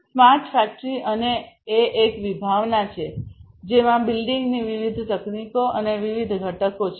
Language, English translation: Gujarati, But smart factory is more of a concept there are different building technologies different components of it